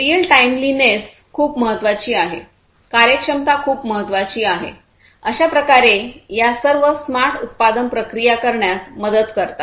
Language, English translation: Marathi, Real timeliness is very important, efficiency is very important; so all of these help in having smart manufacturing processes